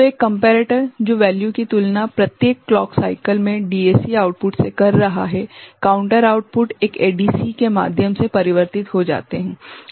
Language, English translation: Hindi, So, one comparator which is comparing the value, in each clock cycle till the DAC output of it, the counter output converted through a DAC